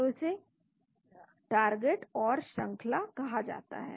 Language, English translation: Hindi, So that is called the template and the sequence